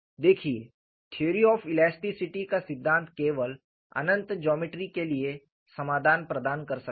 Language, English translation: Hindi, See, if theory of elastic can provide solution only for infinite geometry, all practical geometries are finite